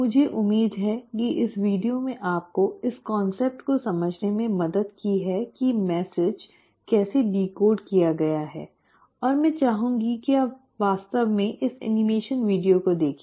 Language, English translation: Hindi, I hope this video has helped you understand the concept of how the message is decoded and I would like you to really go through these animation videos